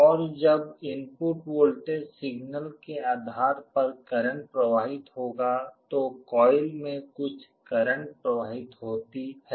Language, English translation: Hindi, And when there is a current flowing depending on the input voltage signal there will be some current flowing in the coil